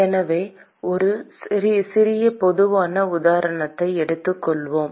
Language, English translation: Tamil, So, let us take a little general example